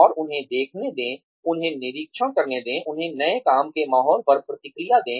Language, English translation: Hindi, And, let them see, let them observe, let them respond, to the new working environment